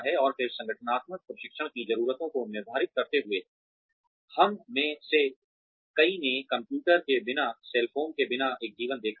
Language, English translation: Hindi, And then, determining organizational training needs, many of us have seen a life without computers, without cell phones